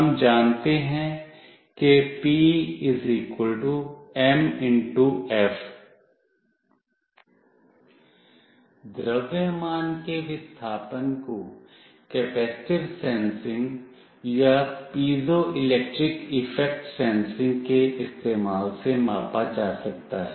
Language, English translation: Hindi, The displacement of the mass can be measured using capacitive sensing or piezoelectric effect sensing